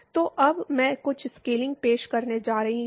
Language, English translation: Hindi, So, Now I am going to introduce some scaling